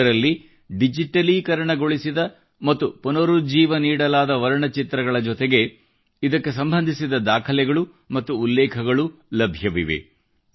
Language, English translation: Kannada, Along with the digitalized and restored painting, it shall also have important documents and quotes related to it